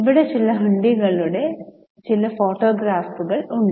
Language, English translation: Malayalam, Here there are some photographs of some of the hundies